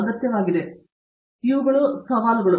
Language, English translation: Kannada, So, these are the challenges